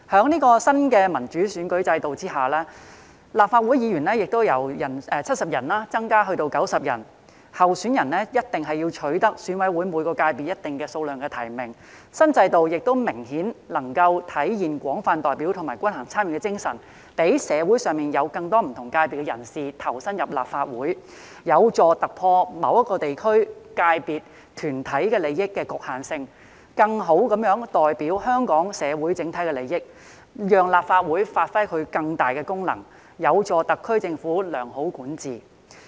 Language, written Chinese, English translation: Cantonese, 在新的民主選舉制度下，立法會議員人數由70人增至90人，候選人必須取得選委會每個界別一定數量的提名，新制度明顯更能體現廣泛代表及均衡參與的精神，讓社會上更多不同界別人士投身立法會，有助突破某個地區、界別、團體的利益局限性，更好地代表香港社會的整體利益，讓立法會發揮更大功能，有助特區政府良好管治。, The new system can obviously better realize the spirit of broad representation and balanced participation enabling more people from different sectors in society to join the Legislative Council . It can help to break through the limitations pertaining to the interests of a particular district sector or group . Representing the overall interests of Hong Kong society more properly it will enable the Legislative Council to perform greater functions thereby facilitating good governance of the HKSAR Government